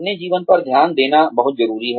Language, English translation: Hindi, It is very important, to focus on your life